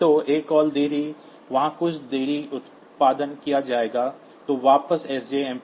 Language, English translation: Hindi, So, a call delay will be produced some delay there then sjmp back